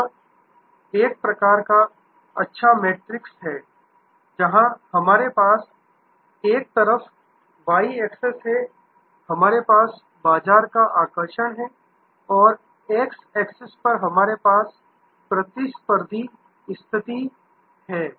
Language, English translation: Hindi, This is a nice matrix, where we have on one side on the y access we have market attractiveness and on the x access we have competitive position